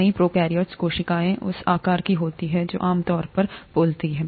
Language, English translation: Hindi, Many prokaryotic cells are of that size typically speaking